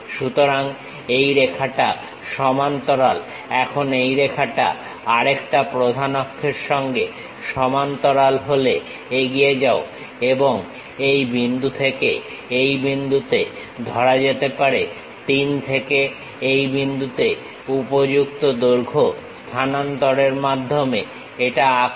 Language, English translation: Bengali, So, this line this line parallel, now this line parallel with the another principal axis then go ahead and draw it, by transferring suitable lengths from this point to this point supposed to be from 3 to this point